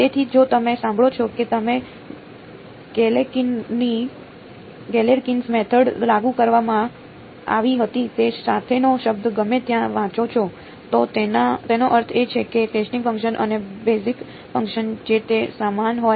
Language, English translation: Gujarati, So, if you hear if you read the word anywhere with says Galerkin’s method was applied, it means the testing function and the basis function whatever they maybe about the same